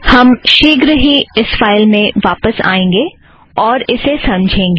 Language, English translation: Hindi, We will come back to this file shortly and explain it